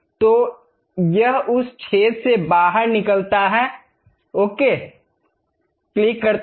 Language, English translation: Hindi, So, it goes all the way out of that hole, click ok